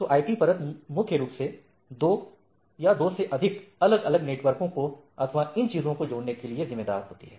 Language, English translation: Hindi, So, the IP layer is primarily responsible for connecting the two, two or two or more different network and so and so things